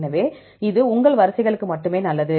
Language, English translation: Tamil, So, that is good for only your sequences